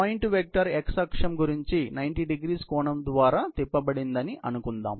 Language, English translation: Telugu, So, let us say a point vector is rotated about x axis by an angle 90º